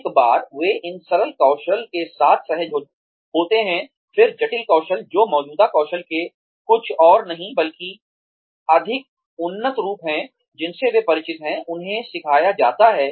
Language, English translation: Hindi, Once, they are comfortable, with these simpler skills, then complex skills, which are nothing, but more advanced forms, of the existing skills, that they are familiar with, are taught to them